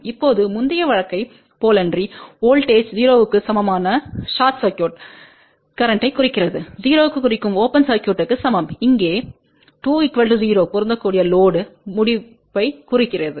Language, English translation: Tamil, Now, here unlike the previous case wherevoltage equal to 0 implied short circuit current equal to 0 implied open circuit here a 2 equal to 0 implies match load termination